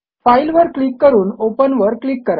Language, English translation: Marathi, Select the file and click on Open